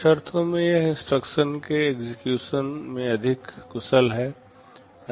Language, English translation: Hindi, In some sense it is more efficient with respect to execution of the instructions